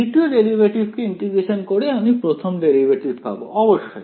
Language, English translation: Bengali, Integrating second derivative will give me first derivative ; obviously